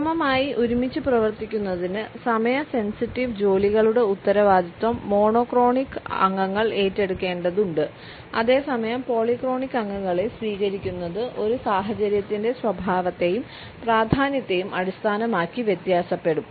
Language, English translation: Malayalam, In order to work together smoothly, monotonic members need to take responsibility for the time sensitive tasks while accepting the polyphonic members will vary the base on the nature and importance of a situation